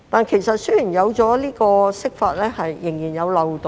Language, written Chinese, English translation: Cantonese, 然而，雖然有這項釋法，但仍然存在漏洞。, Despite the Interpretation loopholes still exist